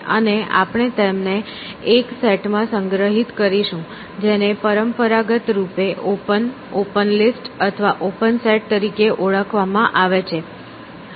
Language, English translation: Gujarati, And we will store them in a set, which is traditionally has been called as the opened, open list or open set essentially